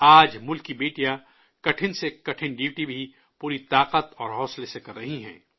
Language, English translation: Urdu, Today the daughters of the country are performing even the toughest duties with full force and zeal